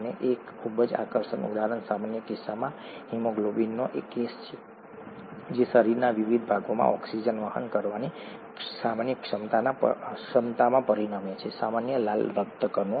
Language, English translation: Gujarati, And a very striking example is the case of haemoglobin in the normal case it results in the normal ability to carry oxygen to various parts of the body, a normal red blood cell